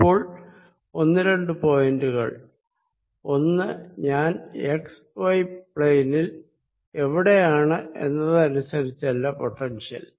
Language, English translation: Malayalam, one, this potential is not going to depend on the where i am on the x y plane, right